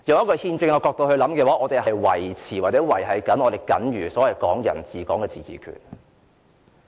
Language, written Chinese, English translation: Cantonese, 從憲政角度而言，我們正在維繫"港人治港"下僅餘的自治權。, From the perspective of constitutionalism we are upholding the residual autonomy of Hong Kong under the principle of Hong Kong people administering Hong Kong